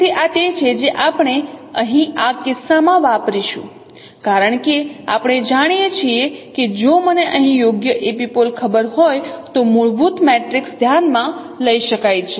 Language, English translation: Gujarati, So this is what we will be using here in this case because we know that fundamental matrix this can be considered if I know the right epipole here